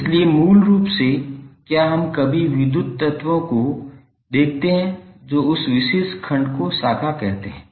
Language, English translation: Hindi, So basically were ever we see the electrical elements present that particular segment is called a branch